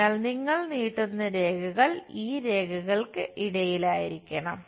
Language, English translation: Malayalam, So, the lines you extend it is supposed to be in between these lines